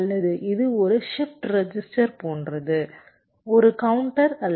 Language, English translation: Tamil, or this is like a shift resistance, not a counter